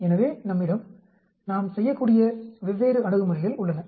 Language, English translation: Tamil, So, we have different approaches by which we could do